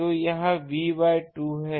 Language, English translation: Hindi, So, this is V by 2